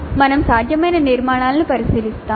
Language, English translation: Telugu, We will have a look at the possible structures